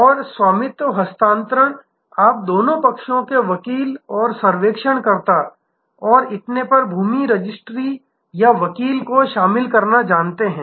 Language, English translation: Hindi, And the ownership transfer will you know involve land registry or lawyer, on both sides lawyer and surveyor and so on